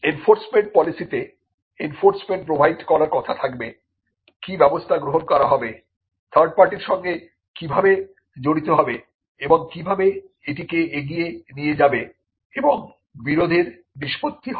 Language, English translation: Bengali, Enforcement is again the policy has to provide for enforcement what will be the measures it will take, how it will involve with third parties and how it will take it forward and for dispute resolution